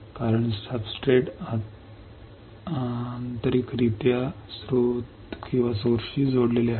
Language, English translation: Marathi, , Because substrate is internally connected to the source